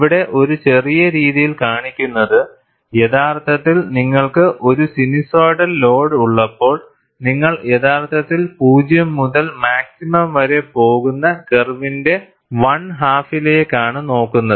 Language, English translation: Malayalam, And what is shown here, in a tiny fashion, is actually, when you have a sinusoidal load, you are actually looking at one half of the curve there, where you are going from 0 to maximum